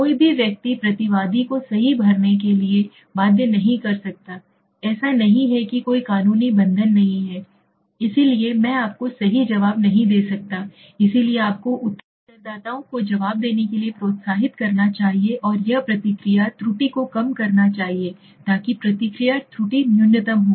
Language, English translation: Hindi, See nobody you cannot force a respondent to fill up right, it is not like there is no legal binding right, so I may not answer you right, so you have to have you have to make me get excited and encourage to answer, it should be minimizing the response error so the response error should be minimum, there should not be too much of response error right